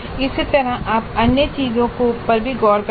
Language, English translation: Hindi, Similarly you can look into all the other things